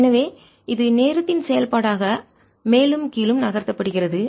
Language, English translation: Tamil, so this is being moved up and down as a function of time